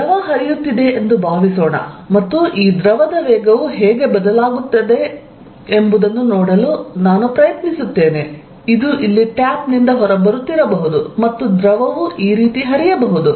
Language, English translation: Kannada, Another example of field is going to be, suppose there is fluid flowing and I try to see, how the velocity of this fluid is changing, this may be coming out of what a tap here and fluid may flow like this